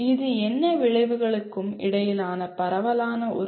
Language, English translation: Tamil, That is broadly the relationship among all the outcomes